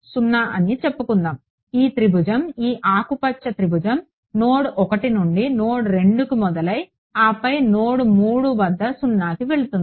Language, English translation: Telugu, 0; right, this triangle this green triangle is starting from node 1, going to node 2 and then going to 0 at node 3